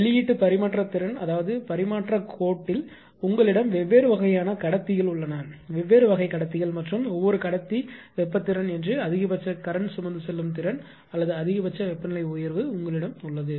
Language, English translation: Tamil, Second thing a release transmission capacity is idea release transmission capacity means that in the transmission line that you have different type of conductors right, you have different type of conductors and every every conductor that is thermal capability that is the maximum current carrying capacity or maximum temperature rise